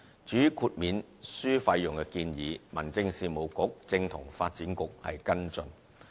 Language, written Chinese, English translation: Cantonese, 至於豁免書費用的建議，民政事務局正與發展局跟進。, With regard to the suggestion of granting exemption to waiver fees the Home Affairs Bureau is now following up the matter with HKADC